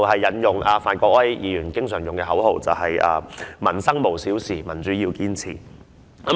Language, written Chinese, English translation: Cantonese, 正如范國威議員經常使用的口號，"民生無小事，民主要堅持"。, As reflected by the slogan frequently used by Mr Gary FAN no livelihood issue is too trivial and no effort should be spared to fight for democracy